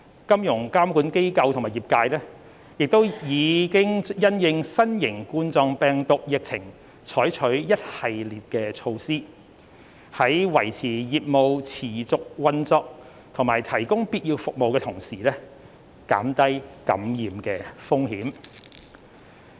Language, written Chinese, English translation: Cantonese, 金融監管機構和業界亦已因應新型冠狀病毒疫情採取一系列措施，在維持業務持續運作及提供必要服務的同時，減低感染風險。, Financial regulators and the trade have also in response to the novel coronavirus epidemic adopted an array of measures to maintain business operations and provide necessary services while minimizing the risk of infection